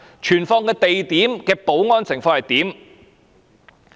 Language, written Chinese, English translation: Cantonese, 存放地點的保安情況如何？, How secure was the place of storage?